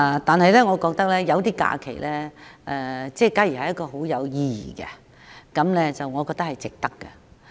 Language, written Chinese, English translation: Cantonese, 但是，如果有些假期很有意義，我覺得值得訂為假日。, However in my view certain days that carry special meanings should be designated as holidays